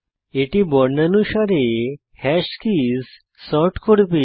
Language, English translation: Bengali, This will sort the hash keys in alphabetical order